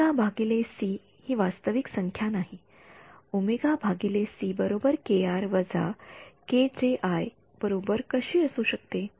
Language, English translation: Marathi, No omega by c is a real number how can omega by c equal to k r minus j k i